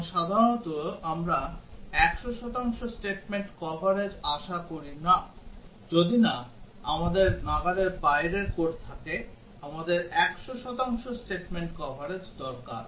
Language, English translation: Bengali, And normally we expect 100 percent statement coverage unless we have unreachable code; we need 100 percent statement coverage